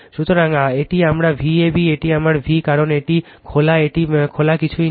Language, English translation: Bengali, So, this is my VAB this is my v , because this is open this is open this is nothing is there